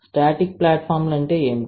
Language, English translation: Telugu, What we static platforms